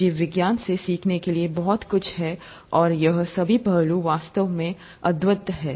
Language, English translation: Hindi, There’s so much to learn from biology and all these aspects are really wonderful